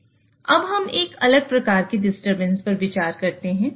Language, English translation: Hindi, Now, let us consider a different type of a disturbance